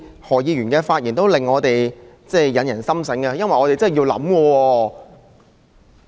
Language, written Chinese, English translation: Cantonese, 何議員的發言總是發人深省，我們真的要考慮。, Dr HOs words are always thought - provoking . We really have to consider the issue seriously